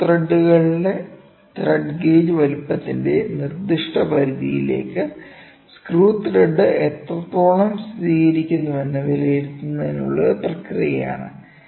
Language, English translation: Malayalam, Thread gauge or of screw threads is a process for assessing the extent to which the screw thread confirms to a specific limit of the size